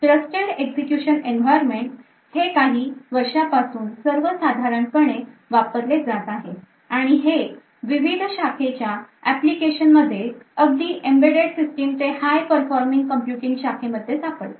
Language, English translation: Marathi, So, Trusted Execution Environments are becoming quite common in the recent years and finding various applications in multiple domains ranging from embedded system to high performing computing